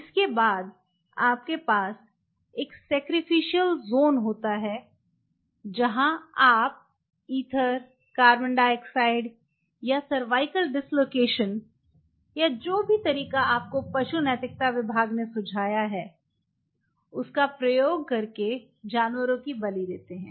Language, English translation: Hindi, Then you have a sacrificial zone where you sacrifice the animal by using ethel carbon dioxide cervical dislocation whatever animal ethics people recommended you